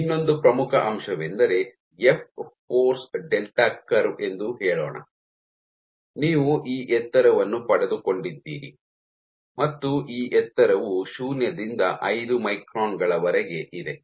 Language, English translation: Kannada, One more important point is let us say your F force is delta curve, you have got this height and this height is from 0 to 5 microns